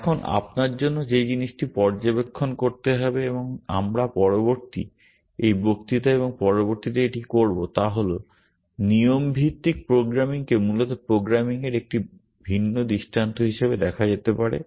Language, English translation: Bengali, Now, the thing for you to observe and we will do this over the next, this lecture and the next is that rule based programming can be seen as a different paradigm of programming in itself essentially